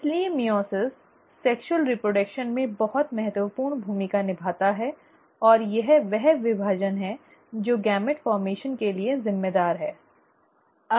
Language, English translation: Hindi, So meiosis plays a very important role in sexual reproduction and it is this division which is responsible for gamete formation